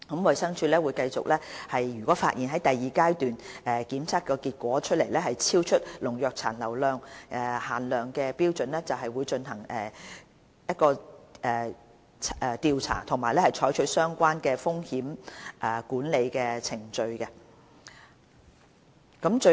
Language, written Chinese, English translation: Cantonese, 衞生署如發現第二階段檢測結果超出農藥殘留限量標準，會進行調查和採取相關的風險管理程序。, If the results of the second - stage tests show that the limits of pesticide residues are exceeded DH will conduct investigations and carry out the associated risk management procedures